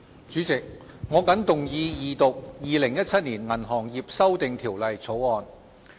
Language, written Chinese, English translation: Cantonese, 主席，我謹動議二讀《2017年銀行業條例草案》。, President I move the Second Reading of the Banking Amendment Bill 2017 the Bill